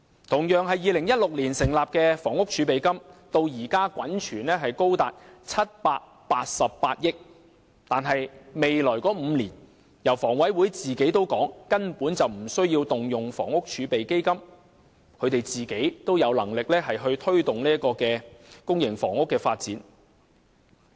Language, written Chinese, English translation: Cantonese, 同樣是2016年成立的房屋儲備金，至今滾存高達788億元，但香港房屋委員會說未來5年根本無須動用房屋儲備基金，本身也有能力推動公營房屋的發展。, Likewise the Housing Reserve established in 2016 has a cumulative fund reaching 78.8 billion so far; yet the Housing Authority stated that it should be able to promote public housing development in the next five years without resorting to the Housing Reserve at all